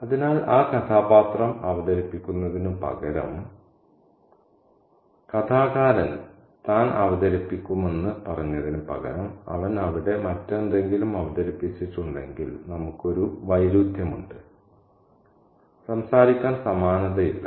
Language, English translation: Malayalam, So, instead of the character performing what the narrator has told that he would perform, if he has performed something else, there we have a contradiction, a dissimilarity, so to speak